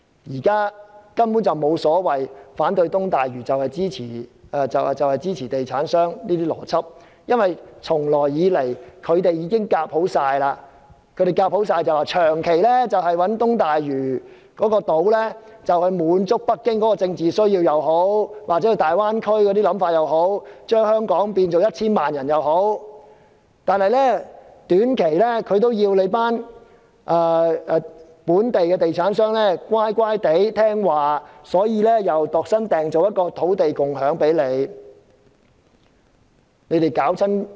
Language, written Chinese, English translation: Cantonese, 現時根本沒有所謂反對東大嶼就是支持地產商的邏輯，因為他們早已談攏了，不論是長期用東大嶼人工島來滿足北京或大灣區的政治需要或想法，或把香港人口增加至 1,000 萬人，為了叫本地的地產商在短期內乖乖聽話，政府又為他們度身訂造了一個土地共享先導計劃。, There is no such logic as opposing East Lantau is tantamount to supporting developers because they have already made a deal . No matter it is to meet in the long run the political needs or aspiration of Beijing or the Greater Bay Area with East Lantau artificial islands or to boost Hong Kongs population to 10 million the purpose is to make local developers obedient in the short run and in return the Government has tailor - made for them the Land Sharing Pilot Scheme